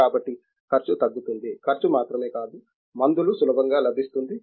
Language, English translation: Telugu, So, the cost will come down, cost only is not the criterion the drugs will be easily available